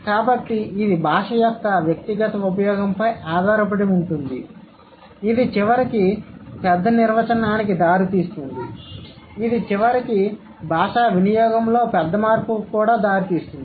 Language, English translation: Telugu, So it depends on the individual use of language which eventually leads to the bigger definition, like which eventually leads to the bigger change in language use